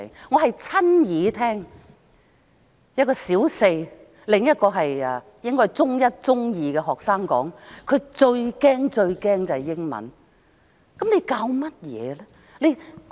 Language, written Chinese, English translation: Cantonese, 我曾親耳聽到一名小四學生、另一個應是中一、中二的學生說，他們最最害怕英文。, I once heard a Primary 4 student and also a Form 1 or Form 2 student say they were most scared of English